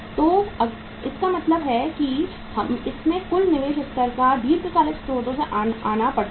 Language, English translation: Hindi, So it means the total investment up to this level has to come from the long term sources